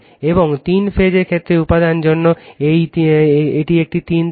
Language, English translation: Bengali, And for the material for three phase case, it is a three wire